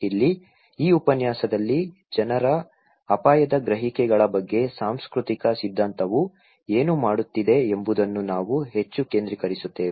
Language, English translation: Kannada, Here, in this lecture, we will focus more what the cultural theory is talking about people's risk perceptions